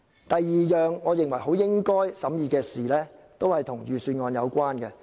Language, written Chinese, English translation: Cantonese, 第二項我認為很應該審議的事，同樣與預算案有關。, The second issue which I think should be examined is also related to the Budget